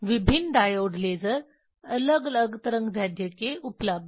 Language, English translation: Hindi, Different diode lasers are available of different wavelength